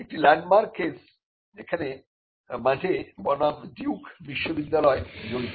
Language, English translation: Bengali, One case which was the landmark case in the US involves Madey versus Duke University